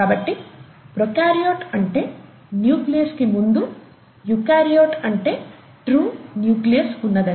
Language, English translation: Telugu, So, prokaryote, before nucleus, eukaryote, something that has a true nucleus